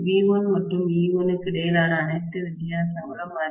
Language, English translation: Tamil, And after all the difference between V1 and E1 is not too much, it is okay